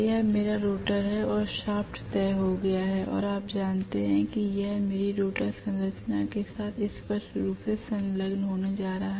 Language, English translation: Hindi, This is my rotor and the shaft is fixed or you know exactly it is going to be engaging clearly with whatever is my rotor structure